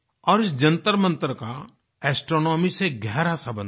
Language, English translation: Hindi, And these observatories have a deep bond with astronomy